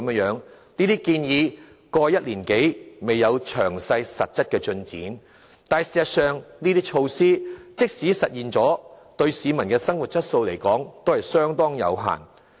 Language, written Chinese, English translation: Cantonese, 在過去1年多，這些建議沒有詳細實質進展，但事實上，這些措施即使實施了，對於改善市民生活質素的成效，卻仍相當有限。, These proposed initiatives did not show any substantive progress in the past one year but as a matter of fact what they can do to improve peoples quality of life will be very limited even if they have ever been implemented